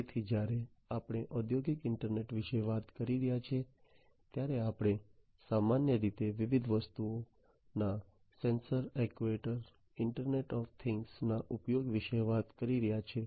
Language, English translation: Gujarati, So, you know when we are talking about industrial internet, we are talking about typically use of different things sensors actuators etc